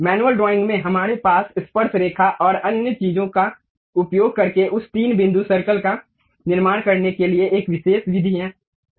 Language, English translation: Hindi, In manual drawing, we have a specialized method to construct that three point circle, using tangents and other things